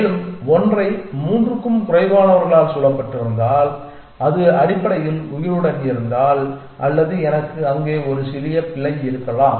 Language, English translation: Tamil, And if a 1 is surrounded by less than three ones and it stays alive essentially or something I may have a small error there but anyway something of that nature